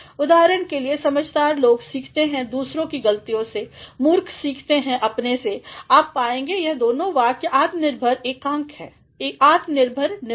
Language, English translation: Hindi, For example, wise men learn by other means mistakes; fools by their own, you will find that these two sentences are an independent unit, independent constructions